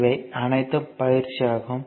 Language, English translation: Tamil, Now, these are all exercise